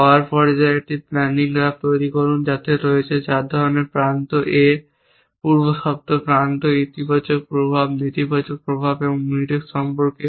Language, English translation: Bengali, In the power stage construct a planning graph which contains is 4 kinds of edges A, the precondition edges, the positive effects negative effects and Mutex relations